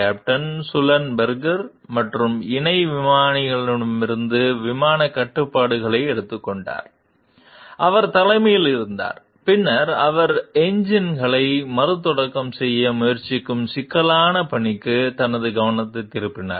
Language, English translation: Tamil, Captain Sullenberger then took over the flight controls from the co pilot, who had been at the helm and who then turned his attention to the complex task of trying to restart the engines